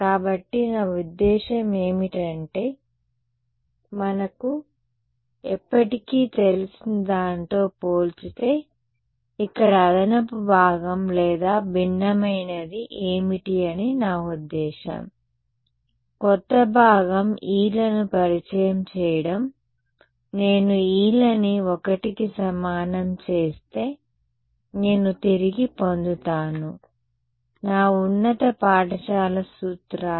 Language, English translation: Telugu, So, notice I mean what is the what is the additional part or what is different here compared to what we knew forever, the new part is the introduction of the e’s, if I make the e’s equal to 1, I get back my high school formulas